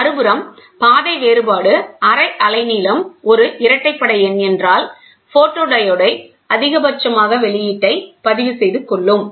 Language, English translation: Tamil, On the other hand, if the path difference is an even number on half wavelength, then the photodiode will register a maximum output